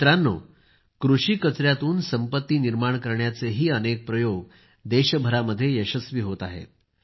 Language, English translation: Marathi, many experiments of creating wealth from agricultural waste too are being run successfully in the entire country